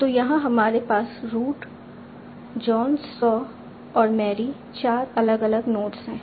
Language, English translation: Hindi, So here you have root, John, saw and marry as four different nodes